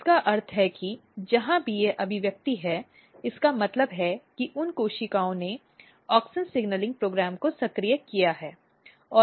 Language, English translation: Hindi, So, which means that wherever this expression is there, it means that those cells have activated auxin signaling program